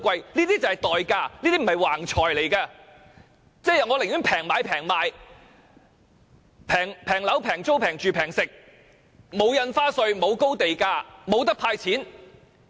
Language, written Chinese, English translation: Cantonese, 這些便是代價，這些錢並非橫財，也即是說，我寧願平買、平賣、平樓、平租、平住、平食，沒有印花稅、沒有高地價，也沒有"派錢"。, That is to say I would rather enjoy a low cost of living with low property prices rents housing prices and food prices and forego the sizable stamp duty payment high land prices and the cash rebates from the Government